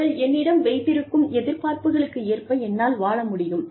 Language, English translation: Tamil, I need to be, able to live up, to the expectations, they have, from me